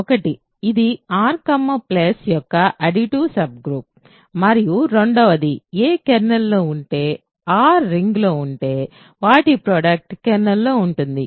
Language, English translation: Telugu, one, it is an additive subgroup of R plus, and two, if a is in the kernel r is in the ring the product is in the kernel ok